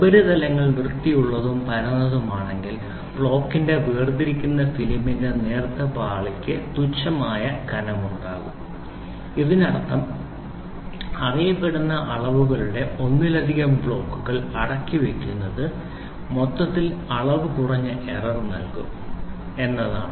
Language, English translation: Malayalam, If the surfaces are clean and flat the thin layer of film separating the block will also have negligible thickness this means that stacking of multiple blocks of known dimensions will give the overall dimension with minimum error